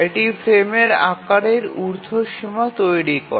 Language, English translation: Bengali, So, this sets an upper bound on the frame size